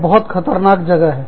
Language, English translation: Hindi, This is a very dangerous place